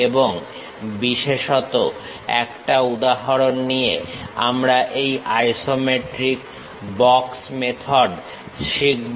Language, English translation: Bengali, And especially we will learn this isometric box method in using an example